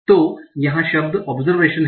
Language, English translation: Hindi, So the word here is observation